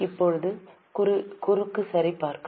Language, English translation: Tamil, Now cross check it